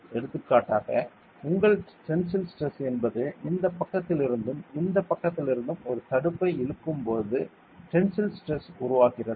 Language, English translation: Tamil, For example, your tensile stress is that stress develops when you pull a block from this side and this side